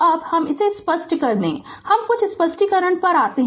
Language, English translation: Hindi, So, let me clear it now I will come to some explanation